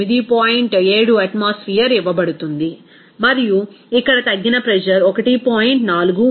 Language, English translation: Telugu, 7 atmosphere and reduced pressure is here 1